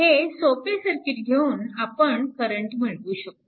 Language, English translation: Marathi, Using the simple circuit, you can calculate the current